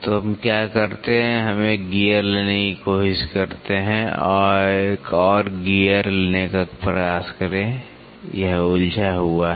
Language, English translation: Hindi, So, what we do is we try to take a gear; try to take one more gear so, this is involute